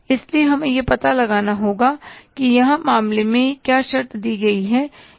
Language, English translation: Hindi, So, we'll have to find out that what are the conditions given in the case here